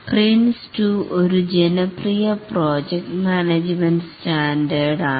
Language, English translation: Malayalam, Prince 2 is a popular project management standard